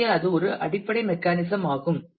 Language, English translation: Tamil, So, that is a basic mechanism